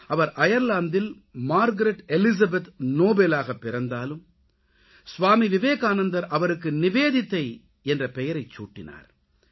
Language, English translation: Tamil, She was born in Ireland as Margret Elizabeth Noble but Swami Vivekanand gave her the name NIVEDITA